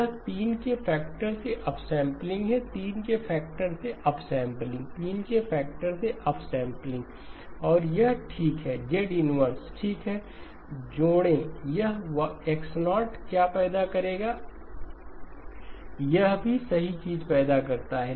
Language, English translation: Hindi, This is upsampling by a factor of 3, upsampling by a factor of 3, upsampling by a factor of 3 okay and it goes in this direction; Z inverse okay, add okay, what would this produce X0, this also produces the right thing